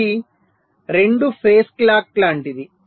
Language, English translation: Telugu, it is like a two face clock